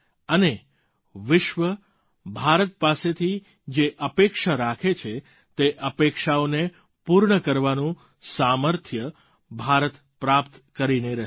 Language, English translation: Gujarati, And may India surely achieve the capabilities to fulfil the expectations that the world has from India